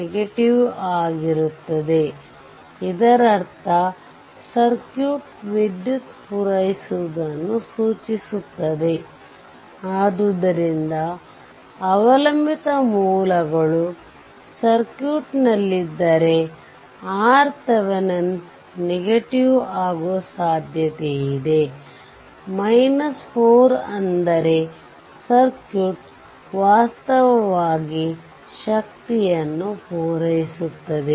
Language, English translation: Kannada, So, if dependent sources are there in the circuit right, there it was a one your current dependent current source was there, if dependent current source is there, then there is a possibility that R Thevenin may become minus 4 that means, circuit actually supplying the power this is the meaning right